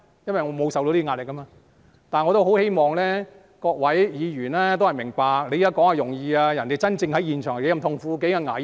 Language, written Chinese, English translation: Cantonese, 因為我沒有受壓力，但我十分希望各位議員明白，在這裏說話是很容易的，但真正在現場是多麼痛苦和危險呢？, Why? . Because I have no pressure . Yet I earnestly hope Honourable Members will understand that it is easy to make remarks here but it will be much more painful and dangerous at the scene